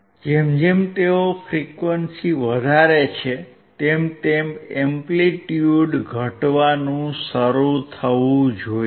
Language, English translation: Gujarati, As he increases the frequency the amplitude should start decreasing